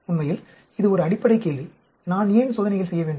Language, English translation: Tamil, Actually, this is a fundamental question, why should I do experiments